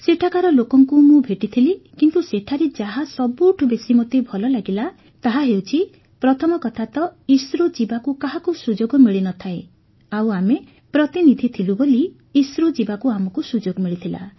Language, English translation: Odia, But the best thing that struck me there, was that firstly no one gets a chance to go to ISRO and we being delegates, got this opportunity to go to ISRO